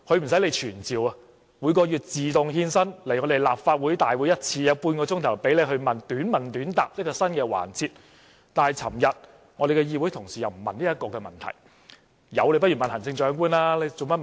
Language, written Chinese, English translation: Cantonese, 她不用傳召，每月一次自動獻身來到立法會大會，出席新增的半小時短問短答環節，但我們的議會同事昨天卻不詢問這個問題。, She need not be summoned as she will automatically come to our Council meeting once a month to attend the newly added 30 - minute session for short questions and answers . But none of my colleagues asked the question yesterday